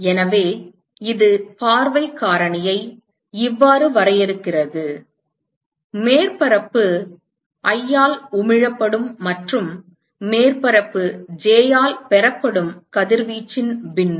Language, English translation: Tamil, So, this defines the view factor as: what is the fraction of radiation which is emitted by surface i and is received by surface j